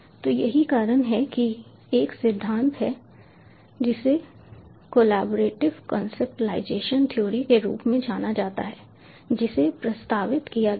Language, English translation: Hindi, so that is the reason why there is one theory, which is known as the collaborative conceptualization theory that was proposed